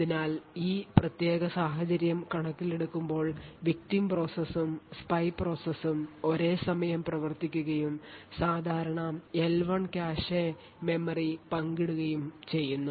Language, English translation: Malayalam, So given this particular scenario we have the victim and the spy running simultaneously and sharing the common L1 cache memory